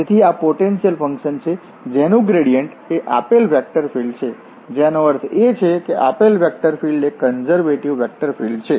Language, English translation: Gujarati, So, this is the potential function whose gradient is the given vector field that means, the given vector field is a conservative vector field